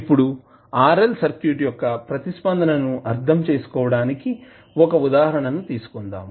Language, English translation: Telugu, Now, let us take 1 example to understand the response of RL circuit